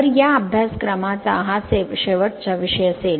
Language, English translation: Marathi, So, next this will be the last topic for this course